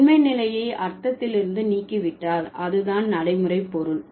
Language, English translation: Tamil, So, if you remove the truth condition from meaning, that's what you get pragmatics